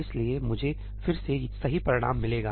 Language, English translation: Hindi, Therefore, I will again get the correct result